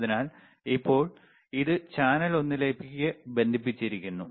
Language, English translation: Malayalam, So, right now, it is connected to channel one, right